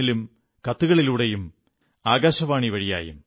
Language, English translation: Malayalam, in, through letters and Akashvani